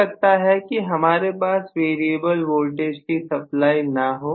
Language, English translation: Hindi, May be I do not have a variable voltage supply